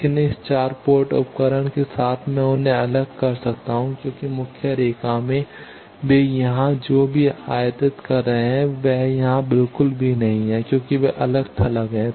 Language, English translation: Hindi, But with this 4 port device I can separate them, because in the main line whatever incident they are going here this one is not at all coming here they are isolated